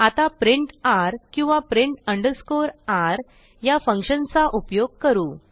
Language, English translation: Marathi, Now theres a function we can use called print r or print underscore r